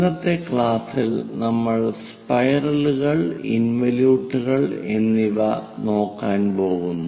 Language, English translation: Malayalam, In today's class, we are going to look at involute and spirals